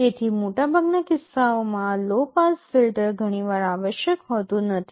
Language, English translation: Gujarati, So, this low pass filter often is not required for most cases